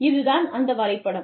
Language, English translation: Tamil, Now, this is the diagram